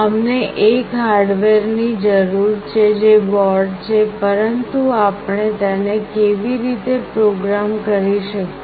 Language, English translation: Gujarati, We need a hardware that is the board, but how do we program it